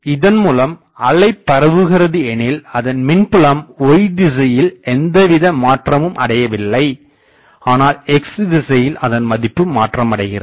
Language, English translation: Tamil, So, electric field is y directed electric field does not have any variation in the y direction; electric field has variation in the x direction